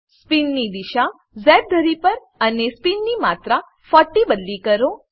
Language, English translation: Gujarati, Change the direction of spin to Z axis and rate of spin to 40